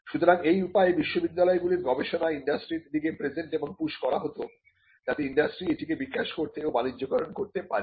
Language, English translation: Bengali, So, this was a way in which the universities research was presented or pushed to the university and industry, so that the industry could take it develop it and commercialize it